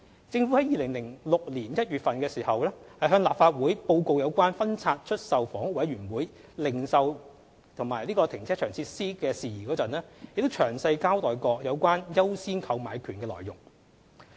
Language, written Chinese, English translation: Cantonese, 政府於2006年1月向立法會報告有關分拆出售房屋委員會零售和停車場設施的事宜時，亦詳細交代過有關"優先購買權"的內容。, When the Government briefed the Legislative Council on matters about the divestment of HAs retail and carparking facilities in January 2006 it had provided detailed information on the right of first refusal